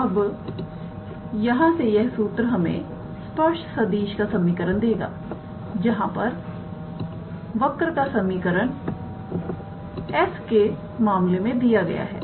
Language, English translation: Hindi, Now, from here this formula actually gives us the equation of the tangent vector where the equation of the curve is given in terms of s